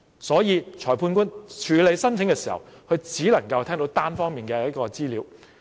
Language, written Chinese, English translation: Cantonese, 所以，裁判官處理申請的時候，只能夠聽到單方面的資料。, Hence the magistrate can only make a ruling on the application based on the information of one of the parties